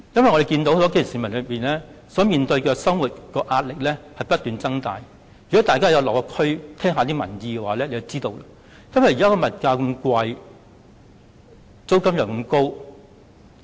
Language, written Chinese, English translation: Cantonese, 我們看到基層市民面對的生活壓力正不斷增加，如果大家有落區，有聽過民意，便知現時的物價高、租金也高昂。, As we can see grass roots are facing increasing pressure in their living . If Members have paid visits to various districts and listened to the views of the public they will know that prices and rent are exorbitant these days